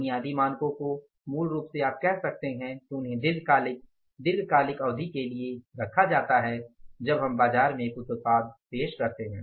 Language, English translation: Hindi, Basic standards are basically you can say that they are sent for the long term period of time that we are introducing one product in the market